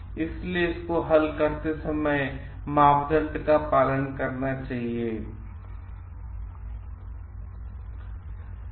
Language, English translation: Hindi, So, the criteria should be followed while solving problems